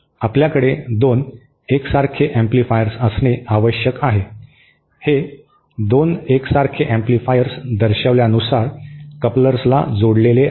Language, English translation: Marathi, You need to have 2 identical amplifiers, these 2 identical amplifiers are connected to a coupler as shown